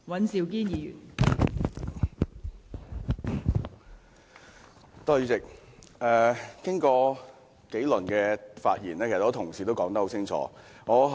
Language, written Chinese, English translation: Cantonese, 代理主席，經過數輪發言後，很多同事都已經很清楚地表達意見。, Deputy President after a few rounds of discussion many Honourable colleagues have clearly expressed their views